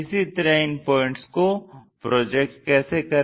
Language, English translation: Hindi, Similarly, project these points